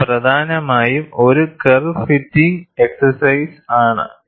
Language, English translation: Malayalam, It is essentially a curve fitting exercise